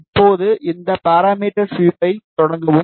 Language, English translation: Tamil, Now, just start this parameter sweep